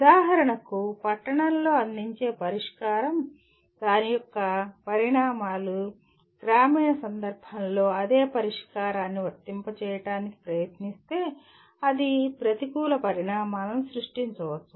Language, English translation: Telugu, For example a solution that is offered let us say in an urban context may not be, the consequences of that if you try to apply the same solution in a rural context it may create a negative consequences